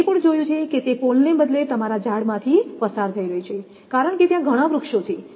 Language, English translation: Gujarati, Even I saw that it is going through your trees instead of pole because many trees are there